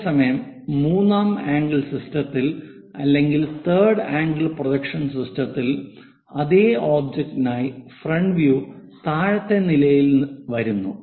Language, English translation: Malayalam, Whereas, in third angle system third angle projection system, what we see is for the same object the front view comes at bottom level